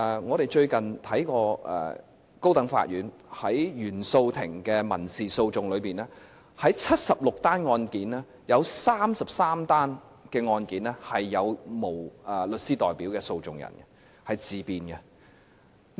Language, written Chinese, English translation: Cantonese, 我們最近看過高等法院原訟法庭的民事訴訟案件，在76宗案件當中，有33宗是沒有律師代表的訴訟人，他們是自辯的。, We have recently looked at the civil cases heard in the Court of First Instance of the High Court and found that 33 of 76 cases had unrepresented litigants who defended themselves